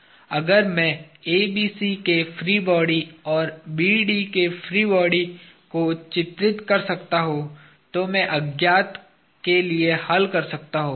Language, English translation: Hindi, Now, if I can draw the free body of ABC and free body of BD, then I can solve for unknowns that appear